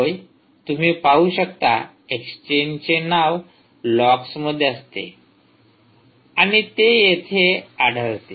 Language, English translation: Marathi, yes, you can see that the name of the ah, the, the exchange, is logs and that appears here